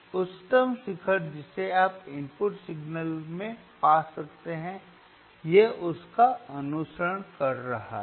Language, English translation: Hindi, tThe highest peak that you can find in the input signal, it is following it